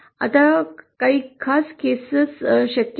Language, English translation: Marathi, Now there are some special cases possible